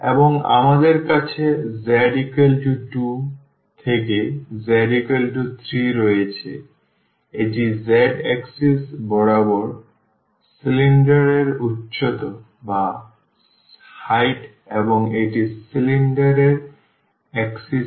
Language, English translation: Bengali, And, we have from z is equal to 2 to z is equal to 3 that is the height of the cylinder along the z axis and that is the axis of the cylinder as well